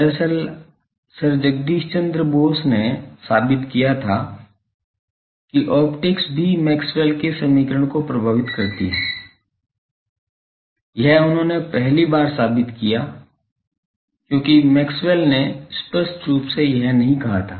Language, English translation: Hindi, Actually, Sir Jagadish Bose proved that optics also waves Maxwell’s equation for the first time he proved it because Maxwell did not say that explicitly